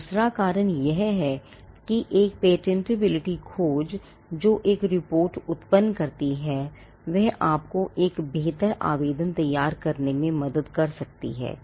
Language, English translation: Hindi, The second reason is that a patentability search which generates a report can help you to prepare a better application